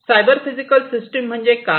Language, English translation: Marathi, And what is a cyber physical system